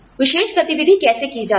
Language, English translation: Hindi, How particular activity is done